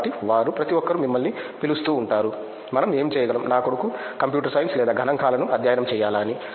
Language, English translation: Telugu, So, they everybody will keep calling you what can we do whether my son should study computer science or statistics